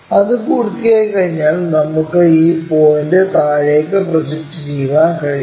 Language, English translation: Malayalam, Once is done, we can project this point all the way down project all the way down